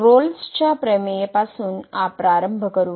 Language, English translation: Marathi, So, starting with the Rolle’s Theorem